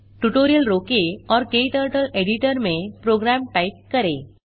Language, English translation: Hindi, Pause the tutorial and type the program into KTurtle editor